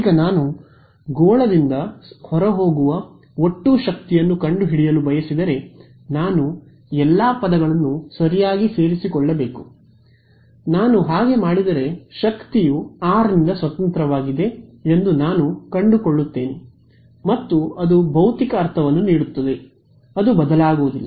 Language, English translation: Kannada, Now if I want to find out the total power leaving the sphere I should include all the terms right, if I do that I will find out that the power is independent of r and that makes the physical sense the I want power leaving at right should we will not change